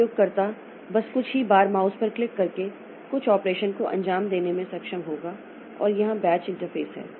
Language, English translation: Hindi, So the user just by clicking a few mouse a few times will be able to execute some operation